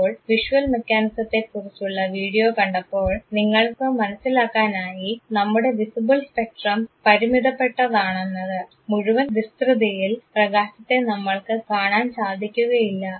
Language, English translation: Malayalam, Now, in the video that you saw for the visual mechanism; you realized that we have a limitation in terms of our visible spectrum, it’s not that entire range of light can be seen by us